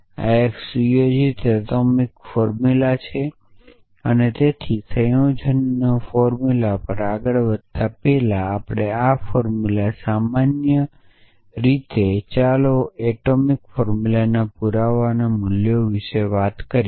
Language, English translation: Gujarati, So, this is a set atomic formulas so before moving on to compound formulas or our formula is in general let us talk about the proof values of these atomic formulas